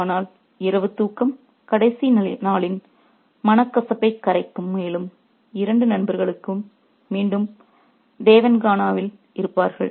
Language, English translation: Tamil, But the night's sleep would dissolve the last day's resentment and the two friends would be back in the Devankana